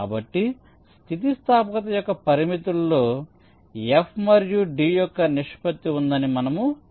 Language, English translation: Telugu, so that's why we are saying that within limits of elasticity the proportionality of f and d holds